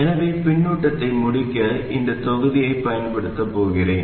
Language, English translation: Tamil, So I am going to use this block to complete the feedback